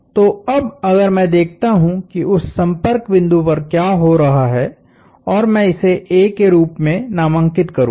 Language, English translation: Hindi, So, if I now look at what is happening at that point of contact and I will designate that as A